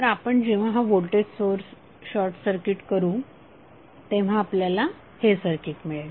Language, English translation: Marathi, So we will get this circuit where we have short circuited the voltage source